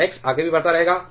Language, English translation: Hindi, So, x will keep on increasing even further